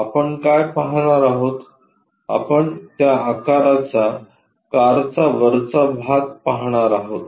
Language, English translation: Marathi, What we will see is the top portion of the car of that shape we supposed to see